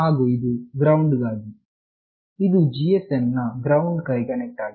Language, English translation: Kannada, And this is for the ground, which is connected to the ground of the GSM